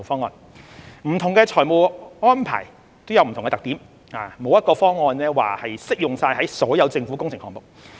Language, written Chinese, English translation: Cantonese, 不同的財務安排各有特點，沒有一個方案會適用於所有政府工程項目。, Different financial arrangements have their own characteristics and there is no single proposal that suits all government works projects